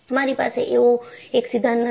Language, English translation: Gujarati, You do not have one theory